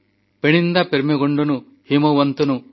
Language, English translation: Odia, Penninda permegondanu himavantanu